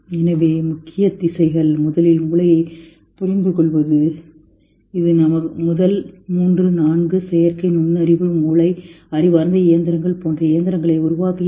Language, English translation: Tamil, So the major directions are understanding the brain first which elucidates the first three four artificial intelligence creating machines like brain intelligent intelligent machines, still far